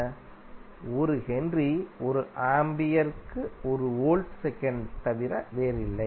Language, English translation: Tamil, 1 Henry is nothing but L Volt second per Ampere